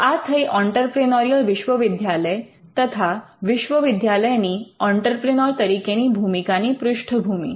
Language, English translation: Gujarati, So, this is the background of the entrepreneurial university, the university donning the role of an entrepreneur